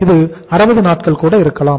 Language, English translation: Tamil, It may be of 60 days